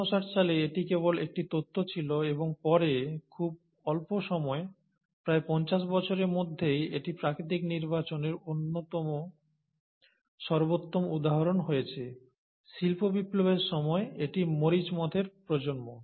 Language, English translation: Bengali, But this was just a theory in 1859 and later on, within a very short span of about fifty years, and this has been the classic example of natural selection, has been around the time of industrial revolution, and this has been the generation of the peppered Moth